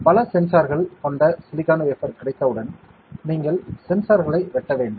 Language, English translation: Tamil, And once you have the silicon wafer with many sensors, you have to chop up the sensors